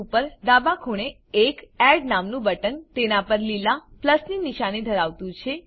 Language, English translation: Gujarati, At the top left corner, there is a button named Add, with a green Plus sign on it